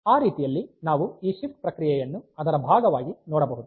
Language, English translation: Kannada, So, that way we can have this shift operation as a part of it